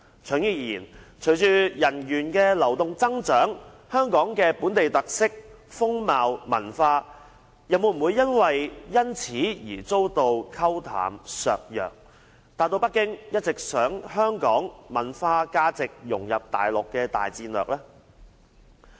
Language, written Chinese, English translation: Cantonese, 長遠而言，隨着人員流動上的增長，香港的本地特色、風貌、文化又會否因而遭到沖淡、削弱，實現北京一直希望香港文化、價值能融入內地的大戰略？, In the long run with the increasing flow of people in the area will Hong Kongs local characteristics unique attributes and culture be compromised and diminished thereby realizing the long - existing hope of Beijing to achieve the objective of its major strategy of blending Hong Kongs culture and value into those of the Mainland?